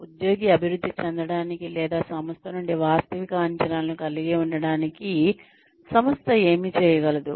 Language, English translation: Telugu, What the organization can do, in order to help the employee develop or have realistic expectations from the organization